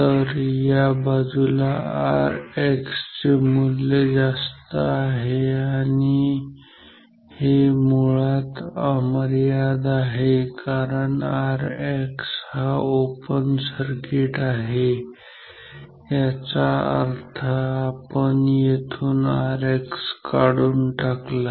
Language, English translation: Marathi, So, this side should have higher value of R X and this is actually infinite because; that means, open circuit R X is open; that means, we remove R X from here